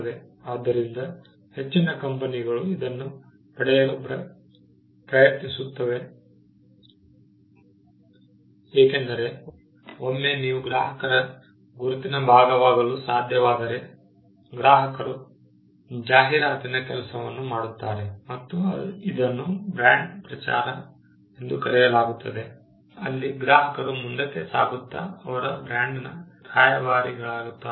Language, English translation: Kannada, So, this is also what most companies are trying to get to because, once you are able to become a part of your customers identity then, the customers would do the job of advertising and this is referred to as brand evangelism, where the customers go forward and become brand ambassadors